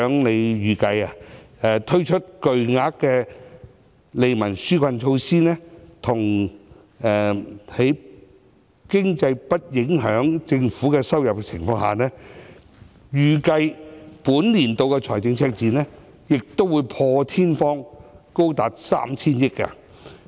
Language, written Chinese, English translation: Cantonese, 司長預計，推出巨額的利民紓困措施，加上經濟不利因素影響政府的收入，預計本年度的財政赤字會破天荒高達 3,000 億元。, The Financial Secretary estimated that with the introduction of the costly relief measures and the reduction in government revenue due to unfavourable economic factors the budget deficit this year will reach an unprecedented record high of 300 billion